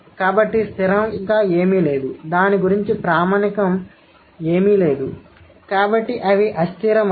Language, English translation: Telugu, So, there is nothing fixed, there is nothing standard about it